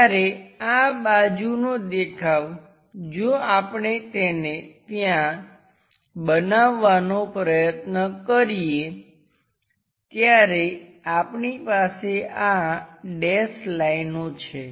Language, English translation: Gujarati, When this side view if we are trying to make it there also, we have this dashed lines